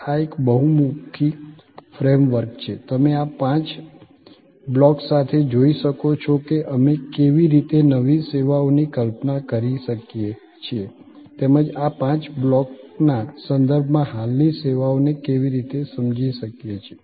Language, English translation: Gujarati, This is a very versatile frame work, with these five blocks and you can see that how we can conceive new services as well as understand existing services in terms of these five blocks